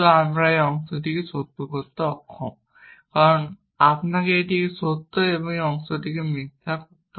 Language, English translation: Bengali, We have to make this part true, but we are unable to make this part true because you have to make this true and this part false